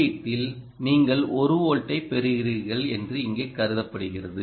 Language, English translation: Tamil, the input is assumed here that you are getting about one volt